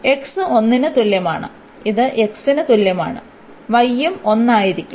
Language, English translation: Malayalam, So, x is equal to 1 this is x is equal to 1 and y will be also 1